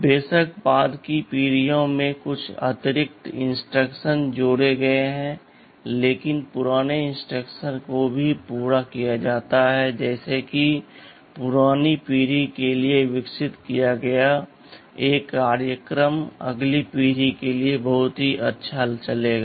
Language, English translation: Hindi, Of course in the later generations some additional instructions have been added, but the older instructions are also carried through, such that; a program which that was developed for a older generation would run pretty well for the next generation also right